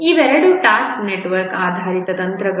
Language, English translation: Kannada, Both of these are task network based techniques